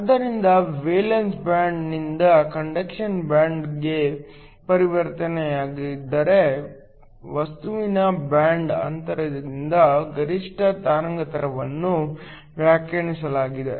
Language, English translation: Kannada, So, if there was a transition from the valence band to the conduction band, the maximum wavelength was defined by the band gap of the material